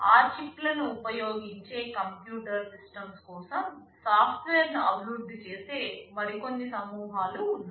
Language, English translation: Telugu, There are some other groups who develop software for those computer systems that use those chips